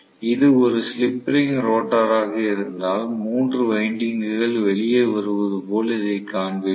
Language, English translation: Tamil, If it is slip ring rotor I will show it like this as though 3 windings come out that is it